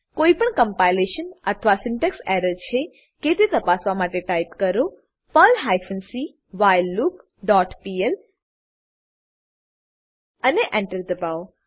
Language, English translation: Gujarati, Type the following to check for any compilation or syntax error perl hyphen c whileLoop dot pl and press Enter